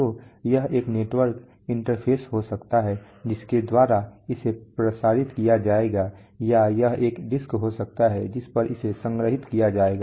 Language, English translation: Hindi, So it could be a network interface by which that will be transmitted or it could be a disk on which it will be stored